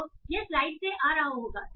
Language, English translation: Hindi, So this will be coming from the slides